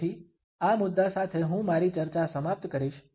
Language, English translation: Gujarati, So, I would end my discussion at this point